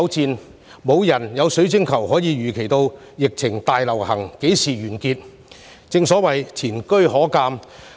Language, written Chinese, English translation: Cantonese, 雖然我們沒有水晶球預測疫情何時完結，但前車可鑒。, Although we do not have a crystal ball to predict when the epidemic will end we can learn from past lessons